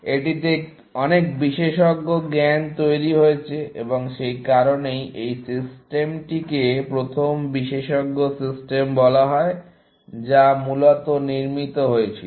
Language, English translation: Bengali, It has got a lot of expert knowledge built into it, and that is why, this system is called the first expert system that was built, essentially